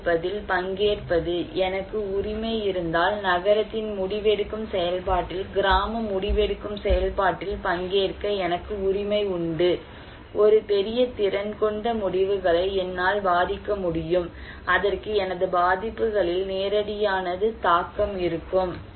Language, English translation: Tamil, And participations; participation in decision making, if I have the ownership, I have the right to participate in the village decision making process in the town neighborhood decision making process, I can influence the decisions that is a great capacity, it has a direct impact on my vulnerability